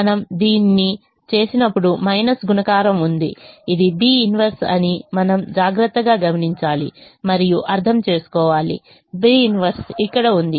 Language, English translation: Telugu, when we do this there is a minus multiplication which we have to carefully observes and understand that this is the b inverse